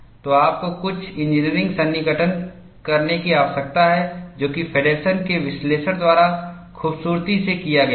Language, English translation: Hindi, So, you need to make certain engineering approximation, which is beautifully done by Feddersen’s analysis